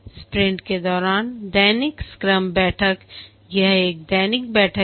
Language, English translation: Hindi, The daily scrum meeting is done every day